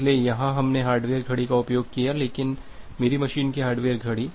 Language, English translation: Hindi, So, here we used the hardware clock, but only the hardware clock of my machine